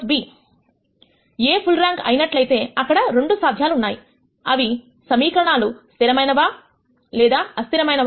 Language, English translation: Telugu, If A is not full rank there are 2 possibilities either the equations are consistent or inconsistent